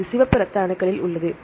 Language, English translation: Tamil, It is in the red blood cells